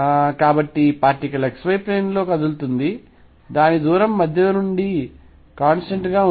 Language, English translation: Telugu, So, particle is moving in x y plane with its distance fixed from the centre